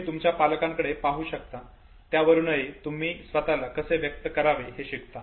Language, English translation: Marathi, You also look at your parents you learn how to express yourself